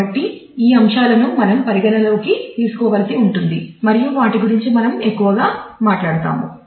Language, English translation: Telugu, So, these are the factors that we will have to take into consideration and we will talk more about those